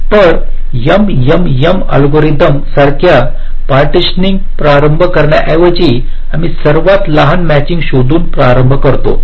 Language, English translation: Marathi, so instead of starting with a partitioning like the m m m algorithm, we start by finding out the smallest matching